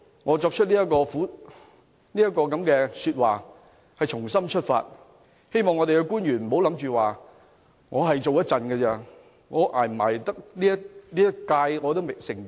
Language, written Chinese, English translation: Cantonese, 我在這裏發表的這番說話是發自肺腑，希望官員不要想着自己只做一段時間，能否捱完這個任期也成疑。, This speech is made deep from my heart . I hope Government officials could get rid of the mentality that they will only serve for a certain period time and that they may not be able to finish their terms of office